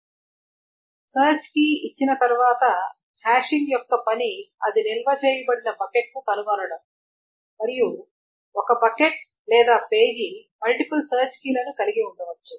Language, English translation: Telugu, So once a search key is given, the point of the hashing is to find the bucket where it is stored and a bucket or a page can contain multiple search keys